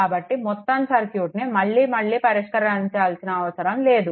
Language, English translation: Telugu, So, no need to solve the whole circuit again and again